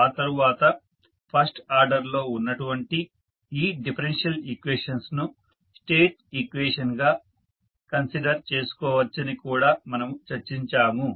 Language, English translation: Telugu, And, then we also discussed that these differential equations which are first order in nature can be considered as a state equation and we can define the various state variables